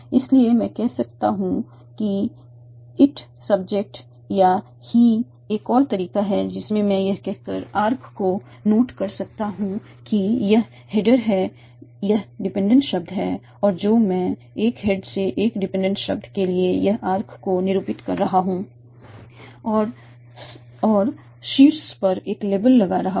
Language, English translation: Hindi, There is another way in which I can denote the arcs by saying this is the head word, the dependent word, I am denoting an arc from headward to dependent word and I am putting a label on top of that